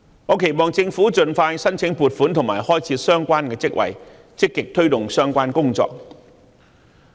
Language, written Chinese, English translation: Cantonese, 我期望政府盡快申請撥款及開設相關職位，積極推動相關工作。, I hope that the Government will expeditiously seek funding and create the relevant posts to actively take forward the relevant work